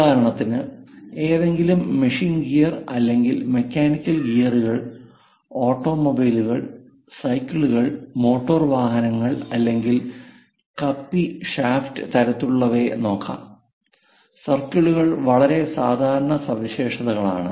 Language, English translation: Malayalam, For example, let us look at any machine gear or mechanical gears; in automobiles, perhaps for cycle, motor vehicles, even pulley shaft kind of things, the circles are quite common features